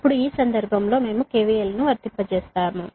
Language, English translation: Telugu, right now, in this case, we apply k v l